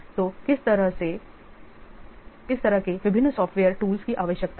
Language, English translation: Hindi, So what kind of different software tools are required